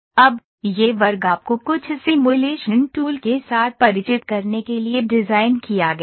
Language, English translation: Hindi, Now, this class is designed to familiarize you with some of the simulation tools